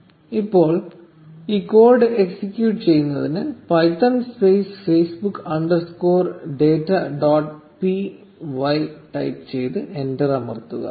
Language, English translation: Malayalam, Now to execute this code, type python space facebook underscore data dot p y and press enter